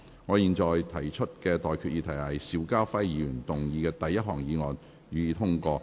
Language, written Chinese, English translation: Cantonese, 我現在向各位提出的待決議題是：邵家輝議員動議的第一項議案，予以通過。, I now put the question to you and that is That the first motion moved by Mr SHIU Ka - fai be passed